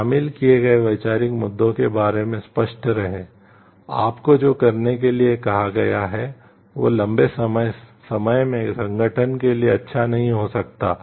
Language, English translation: Hindi, Be clear about the conceptual issues involved, what you are asked to do may not be good for the organization in the long run